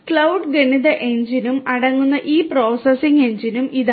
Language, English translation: Malayalam, This is also this processing engine which consists of the cloud as well as the Math Engine